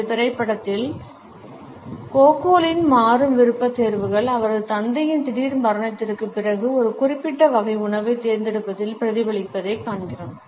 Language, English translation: Tamil, In this movie we find that Gogol’s changing preferences are reflected in his opting for a particular type of a food after the sudden death of his father